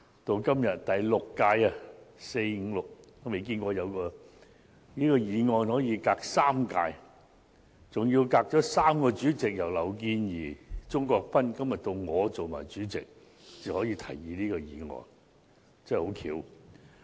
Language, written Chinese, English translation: Cantonese, 到了今天第六屆立法會，我也沒有見過有議案可以相隔3屆，經過敝黨3個主席，由劉健儀、鍾國斌議員，到今天我做黨主席，才可以獲提出，真的很巧合。, Now in the sixth Legislative Council I finally managed to do so . I have never seen any motion which has to wait for three Legislative Council terms and has been proposed by three Chairmen of the Liberal Party before it can be debated by Members . Now I have become the Chairman of the Liberal Party and we can finally hold a debate on the motion